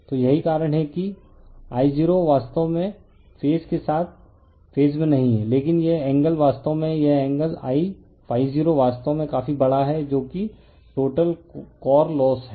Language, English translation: Hindi, So, that is why I0 is not exactly is in phase with ∅ but this angle actually this angle I ∅0 actually quite large so, that is total core loss